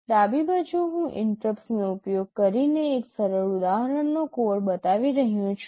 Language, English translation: Gujarati, On the left I am showing the code of a simple example using interrupts